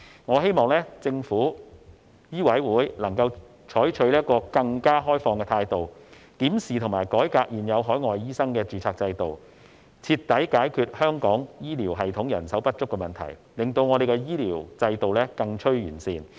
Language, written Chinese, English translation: Cantonese, 我希望政府和香港醫務委員會採取更開放的態度，檢視和改革現有海外醫生的註冊制度，徹底解決香港醫療系統人手不足的問題，令香港的醫療制度更趨完善。, I hope the Government and the Medical Council of Hong Kong will adopt a more open attitude in reviewing and reforming the existing registration system for overseas doctors so as to thoroughly solve the manpower shortage in Hong Kongs healthcare system and make it an even better one